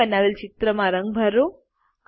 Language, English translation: Gujarati, Color this picture you created